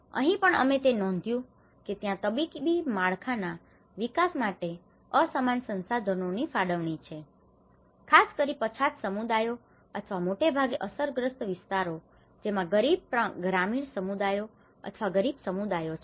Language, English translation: Gujarati, Even here, we notice that there is an unequal resource allocation and access to medical infrastructure, especially the marginalized communities or mostly prone areas are the poor rural communities or the poverty you know communities